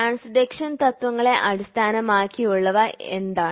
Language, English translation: Malayalam, So, what are the based on the principles of transduction